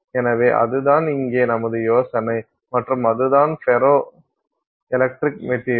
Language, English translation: Tamil, So, that is the idea here and so that's a ferroelectric material